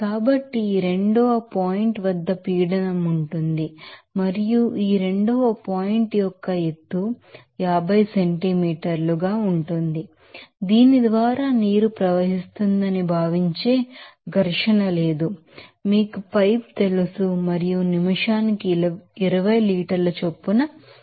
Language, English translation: Telugu, So, there will be a pressure at this 2 point and there is the elevation of this 2 point is 50 centimeters there is no friction which is considered water is flowing through this you know pipe and then nozzles at the rate of 20 liter per minute